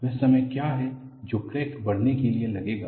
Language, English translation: Hindi, What is the time that would take for a crack to grow